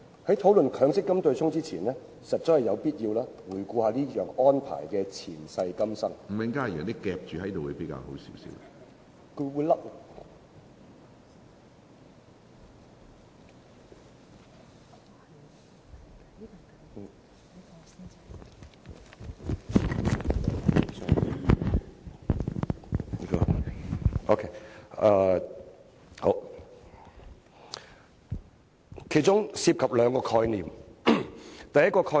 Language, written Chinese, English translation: Cantonese, 在討論強積金對沖安排前，實在有必要回顧這項安排的前世今生，強積金計劃當中涉及兩個概念。, Before discussing the MPF offsetting arrangement it is necessary to reflect on how this arrangement came about